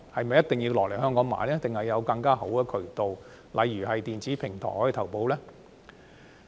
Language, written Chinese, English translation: Cantonese, 還是可以有更好的渠道？例如在電子平台投保。, Or is there a better way such as taking out insurance on an electronic platform?